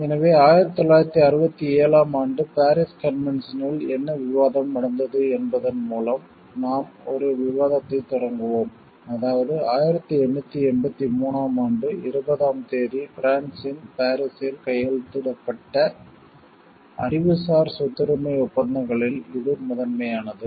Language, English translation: Tamil, So, we will start with a discussion with the what was the discussion in the Paris convention 1967 is that, it is one of the first in a way the intellectual property right treaties which was signed in Paris France on twentieth march 1883